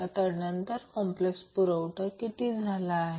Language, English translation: Marathi, Now, next is how much complex power is being supplied